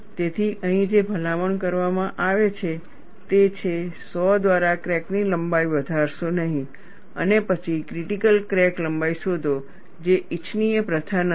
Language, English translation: Gujarati, So, what is recommended here is, do not increase the length of the crack by sawing and then find the critical crack length, which is not a desirable practice